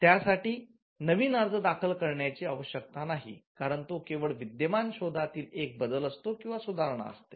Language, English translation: Marathi, There is no need to file a fresh new application because, it is just a modification or an improvement over an existing invention